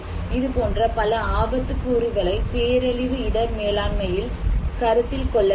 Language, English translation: Tamil, Why, so that is important when we are talking about disaster risk management